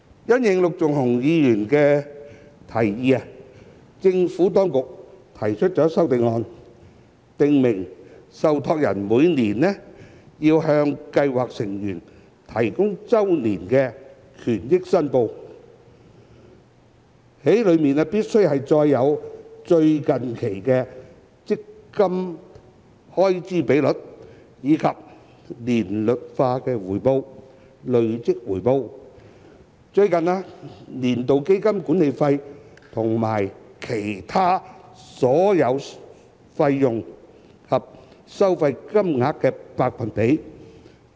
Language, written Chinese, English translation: Cantonese, 因應陸頌雄議員的提議，政府當局提出修正案，訂明受託人每年要向計劃成員提供的周年權益報表，須載有最近期基金開支比率，以及年率化回報、累計回報、最近年度基金管理費和其他所有費用及收費的金額和百分比。, In the light of the proposal made by Mr LUK Chung - hung the Administration has proposed an amendment to specify that the annual benefit statements provided by trustees to scheme members every year shall include the latest fund expense ratio as well as the amounts and percentages of the annualized return the cumulative return and the fund management fee and all other fees and charges of the latest year